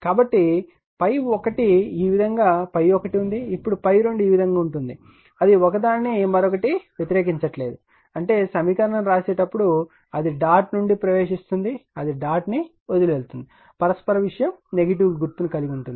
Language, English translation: Telugu, So, phi 1 this way then phi 2 is this way that is there, opposing each other is not it; that means, your when you write the equation it is entering the dot it is leaving the dot that mutual thing will be negative sign right